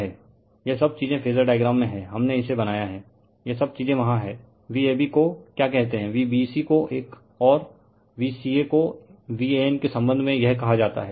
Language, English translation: Hindi, This all this things in the phasor diagram we have made it, right, all this things are there that your what you call V ab this one, V bc this one and V ca is this one with respect to your V an right